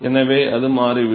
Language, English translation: Tamil, So, that turns out to be